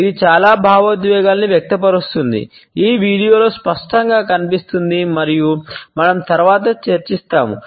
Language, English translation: Telugu, It expresses multiple emotions, as is evident in this video and as we would discuss later on